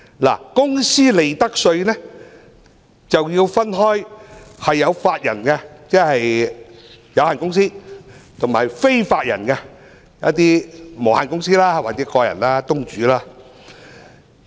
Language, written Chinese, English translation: Cantonese, 在公司利得稅方面，便要分為有法人即有限公司，與非法人即無限公司或個人公司或東主。, As far as profits tax is concerned companies are classified into those with a legal person and those without a legal person